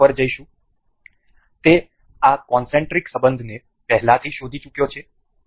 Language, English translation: Gujarati, We will go to mate, it it has already detected this concentric relation